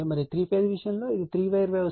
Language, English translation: Telugu, And for the material for three phase case, it is a three wire